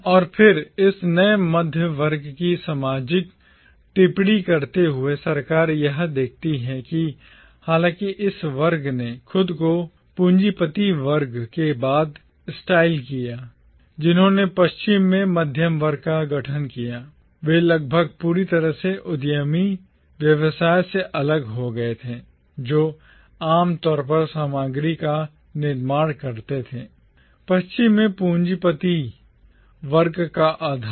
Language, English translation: Hindi, And then, commenting on the social roots of this new middle class, Sarkar observes that though this class styled itself after the bourgeoisie, who formed the middle class in the West, they were almost entirely dissociated from the entrepreneurial business activities that typically form the material basis of the bourgeoisie in the West